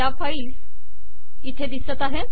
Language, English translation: Marathi, Lets open this file here